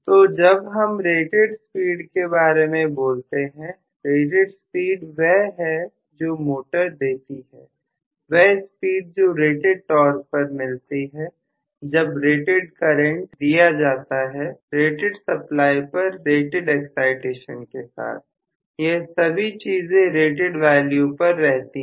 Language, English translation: Hindi, So when we talk about rated speed, rated speed corresponds to basically whatever is the motor delivering, the speed while it is delivering the rated torque drawing rated current from a rated supply with rated excitation all of them under rated conditions, Right